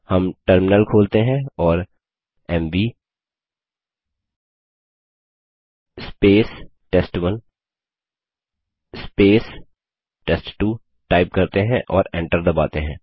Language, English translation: Hindi, We open the terminal and type mv space test1 space test2 and press enter